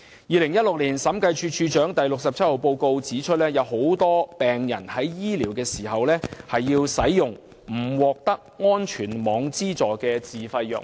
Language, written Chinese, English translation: Cantonese, 2016年審計署署長發表的第六十七號報告書指出，許多病人在接受治療時均須服用沒有資助的自費藥物。, It is pointed out in the Director of Audits Report No . 67 that a lot of patients under treatment have to take self - financed drugs